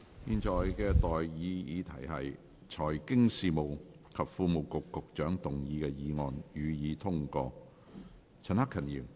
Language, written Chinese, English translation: Cantonese, 現在的待議議題是：財經事務及庫務局局長動議的議案，予以通過。, I now propose the question to you That the motion moved by the Secretary for Financial Services and the Treasury be passed